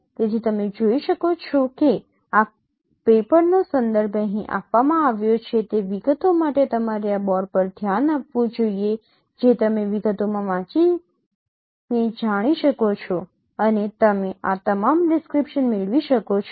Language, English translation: Gujarati, So you can see the reference of this paper is given here for the details you should look at this paper which you which you can know read in details and you can get all this description